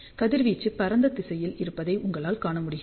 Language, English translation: Tamil, So, you can see that the radiation is in the broadside direction